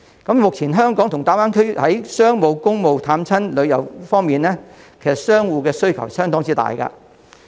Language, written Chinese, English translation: Cantonese, 目前，香港和大灣區在商務、公務、探親和旅遊方面，其實商戶的需求相當大。, At present business people in both Hong Kong and the Greater Bay Area have huge demand in respect of commerce business travel family visit and tour